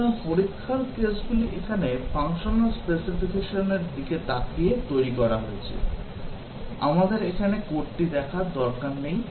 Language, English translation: Bengali, So, the test cases are designed here, looking at the functional specification; we do not need to look at the code here